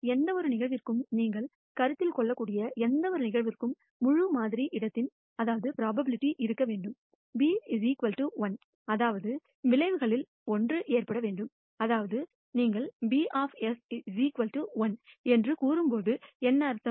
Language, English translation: Tamil, For any event that you might consider also the probability of the entire sample space should be equal to 1, which means 1 of the outcomes should occur; that is, what it means when you say P of S is equal to 1